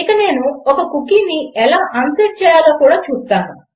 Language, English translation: Telugu, And Ill also show you how to unset a cookie